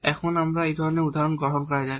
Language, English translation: Bengali, Now, we take this example of this kind